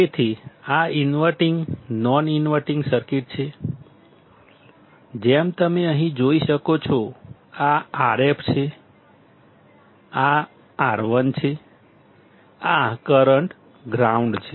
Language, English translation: Gujarati, So, this is the circuit as you can see here; inverting, non inverting; this is R f, this is R 1, this is current, ground